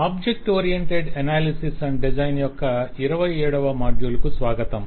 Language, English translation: Telugu, welcome to module 27 of object oriented analysis and design from module 26